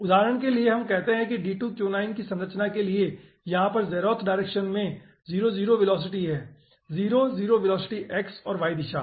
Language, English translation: Hindi, so for example, let say over here, for d2q9 structure, the zeroth direction is having 00 velocity, 0 comma, 0 velocity, x and y direction, and for 1 it is having plus 1 comma, 0